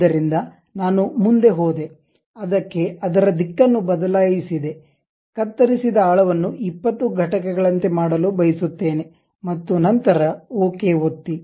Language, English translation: Kannada, So, I went ahead, reversed the direction may be depth of cut I would like to make it something like 20 units and then click ok